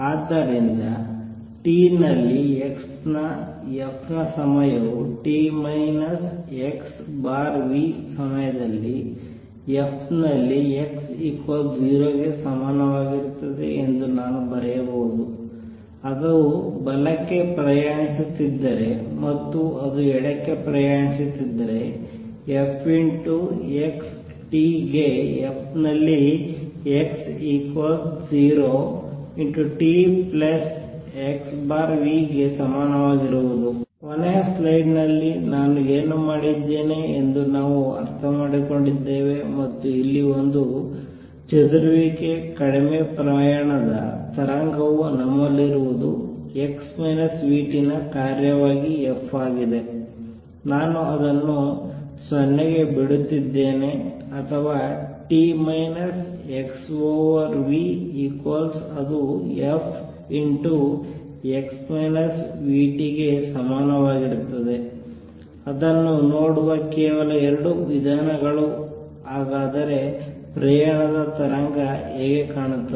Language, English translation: Kannada, So, I can also write that f of x at t is same as f at x equal to 0 at time t minus x over v, if it is travelling to the right and if it is travelling to the left f x t is equal to f at x is equal to 0 t plus x over v, what we have understood what I did in the last slide and here that for a dispersion less travelling wave what we have is f as a function of x minus v t, I am dropping that 0 or a function t minus x over v which is a same as f x minus v t just 2 ways of looking at it that is how a travelling wave would look